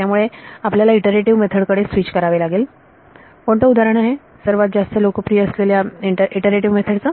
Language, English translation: Marathi, So, you have to switch to what are called iterative methods any example of the most popular iterative method